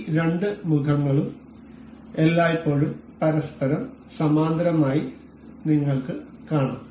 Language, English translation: Malayalam, You can see this two faces are always parallel to each other